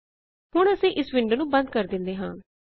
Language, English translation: Punjabi, We will close this window